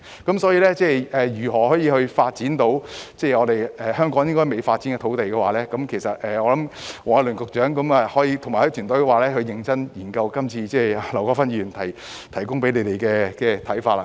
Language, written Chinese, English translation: Cantonese, 關於如何發展香港尚未發展的土地，我認為黃偉綸局長及其團隊應認真研究今次劉國勳議員向他們提供的想法。, Regarding how to develop the undeveloped land of Hong Kong I think Secretary Michael WONG and his team should seriously study the views given to them by Mr LAU Kwok - fan this time